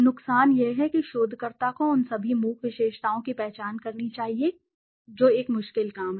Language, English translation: Hindi, The disadvantage is that the researcher must identify all the silent attributes which is a difficult task